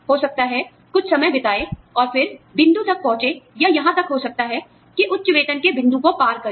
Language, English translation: Hindi, And, then reach the point, or maybe, even cross the point, of that high salary